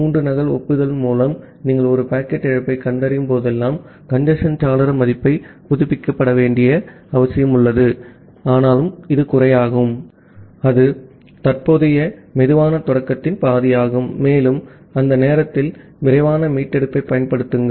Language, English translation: Tamil, Whenever you are detecting a packet loss through three duplicate acknowledgement, you reduce the congestion window value to the updated slow start threshold that is half of the current slow start, and apply fast recovery at that point